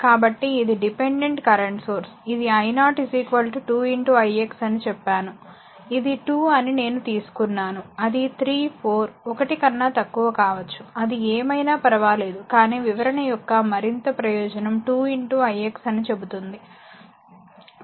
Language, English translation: Telugu, So, this is a dependent current source this is i 0 is equal to say 2 into i x say 2 is it is 2 i have taken it may be 3 4 less than 1 whatever it is it does not matter right, but further purpose of explanation say it is 2 into i x